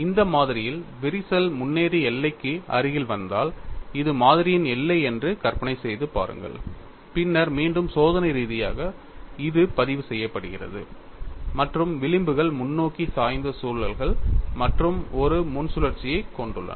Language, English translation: Tamil, Suppose in this specimen also if the crack advances and comes closer to the boundary, imagine that this is the boundary of the specimen, then again experimentally it is recorded, and the fringes have forward tilted loops and a frontal loop